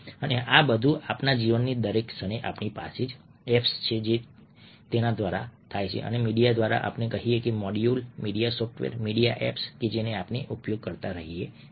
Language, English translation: Gujarati, and all this is happening every moment of our life through the apps that we have, through the media, media, let say, modules, media software, media apps that we keep on using